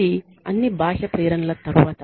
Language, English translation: Telugu, This is after all external motivation